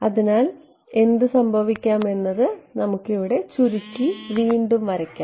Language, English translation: Malayalam, So, then what can happen is let us redraw it over here shorter